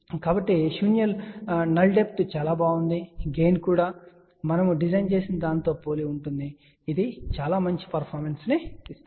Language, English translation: Telugu, So, the null depth was very good, the gain was also similar to what we had designed leading to a very good performance so